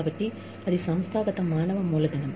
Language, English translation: Telugu, So, that is the organizational human capital